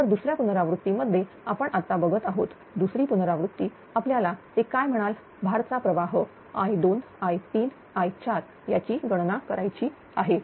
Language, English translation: Marathi, Now, second iteration we will now seeing second iteration we have to compute the your what you call that load current ah small i 2, small i 3 and small i 4